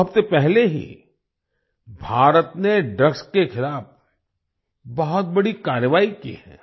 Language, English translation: Hindi, Two weeks ago, India has taken a huge action against drugs